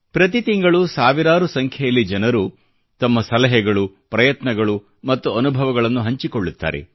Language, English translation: Kannada, Every month, thousands of people share their suggestions, their efforts, and their experiences thereby